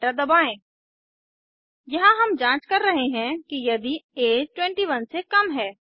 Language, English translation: Hindi, Press enter Here, we are checking if age is less than 21